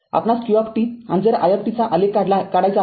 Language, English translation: Marathi, You have to plot q t and i t